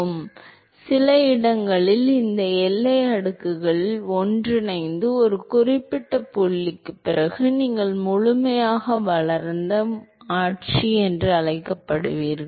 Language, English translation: Tamil, So, at some location, some location where these boundary layers merge and after a certain point you get what is called the fully developed, fully developed regime